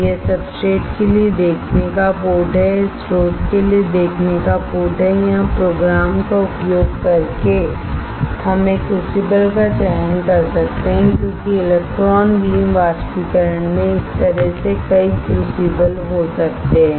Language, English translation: Hindi, This is the viewing port for the substrate, this is the viewing port for the source here using the program we can select a crucible because in electron beam evaporation there can be multiple crucibles as well like this